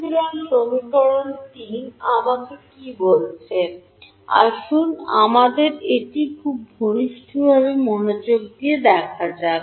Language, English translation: Bengali, So, what is equation 3 telling me, let us be very close attention to this